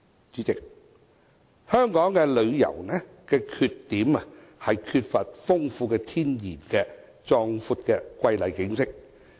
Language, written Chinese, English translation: Cantonese, 主席，香港旅遊業的缺點，是缺乏豐富天然的壯闊瑰麗景色。, President our tourism industry is inadequate in the sense that we do not have a natural and magnificent landscape